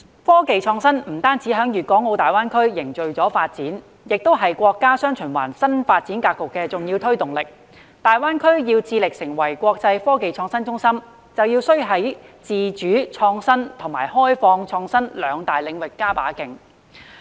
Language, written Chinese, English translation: Cantonese, 科技創新不止在粵港澳大灣區凝聚發展，同時亦是國家"雙循環"新發展格局的重要推動力，大灣區要成為國際科技創新中心，便要在自主創新及開放創新兩大領域加把勁。, Technological innovation is not only a stimulation of development in GBA but also an important driving force in the new development pattern of the countrys dual circulation . If GBA is to become an international innovation and technology hub greater efforts have to be made in the two major areas of independent innovation and open innovation